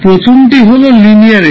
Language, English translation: Bengali, First is linearity